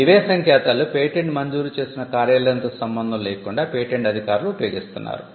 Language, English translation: Telugu, Now, these are universal codes which are used by patent officers regardless of the office in which the patent is granted